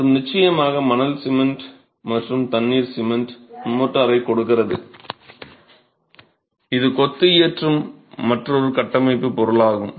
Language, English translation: Tamil, And of course, sand, cement and water together gives you the cement motor, which is another structural material that goes into composing masonry